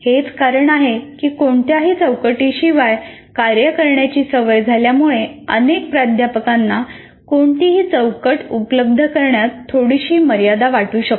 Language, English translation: Marathi, That is the reason why having got used to operating with no framework, the many faculty members may feel a little constrained with regard to providing any framework